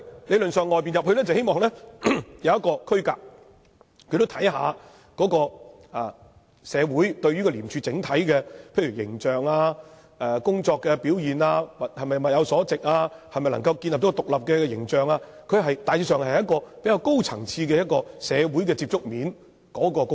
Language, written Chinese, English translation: Cantonese, 理論上，從外面招聘，是希望他從另一個角度，看看如何提升社會對廉署整體的形象、工作表現、研究能否建立獨立的形象等，大致上是一個比較高層次的社會接觸面的工作。, Theoretically speaking when he was appointed as an outsider it was hoped that he could from another perspective see how to enhance the overall social image and performance of ICAC and study how to build up an image of independence . He was entrusted with a generally higher level of duty for reaching out to the community